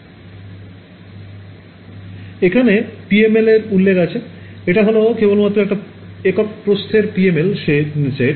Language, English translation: Bengali, So, they have specified here PML this is just one line specification set a PML of thickness 1